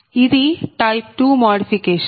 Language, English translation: Telugu, now type two modification